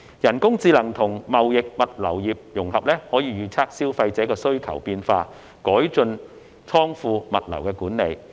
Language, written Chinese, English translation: Cantonese, 人工智能與貿易、物流業融合，可以預測消費者需求的變化，改進倉庫、物流管理。, The integration of artificial intelligence with the trade and logistics industry can help predict changes in consumer demand and improve warehouse and logistics management